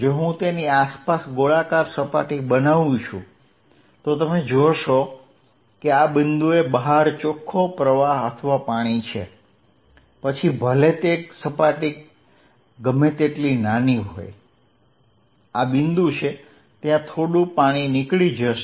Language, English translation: Gujarati, If I make a spherical surface around it you see there is an net flow or water outside at this point no matter how small the surface, this point there will be some water going out